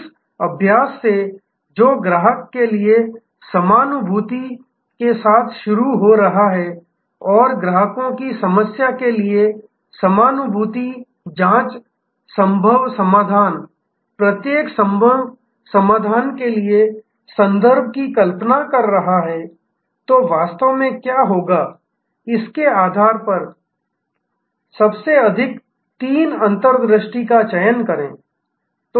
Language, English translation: Hindi, From this exercise, which is starting with empathy for the customer and empathetic probe into the customers problem visualizing the possible solutions, the context for each possible solution, then select at the most three insights really based on what if